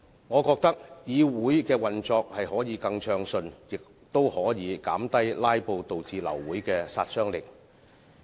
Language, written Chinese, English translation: Cantonese, 我覺得這樣會令議會的運作更暢順，亦可以減低"拉布"導致流會的殺傷力。, I think this will facilitate a smoother operation of the Council and can reduce the harm of abortion of meeting caused by filibusters